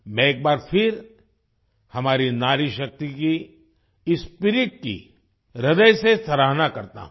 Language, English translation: Hindi, I once again appreciate this spirit of our woman power, from the core of my heart